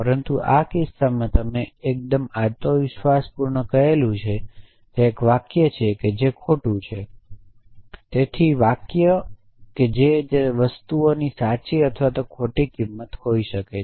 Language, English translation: Gujarati, But in this case you sought of fairly confidently say that it is a sentence which is false so sentences as those things which can be true or false essentially